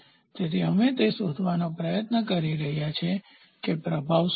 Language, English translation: Gujarati, So, that is why we are trying to find out what is the influence